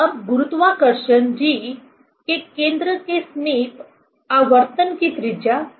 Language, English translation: Hindi, Now, about the center of gravity G, what is the radius of gyration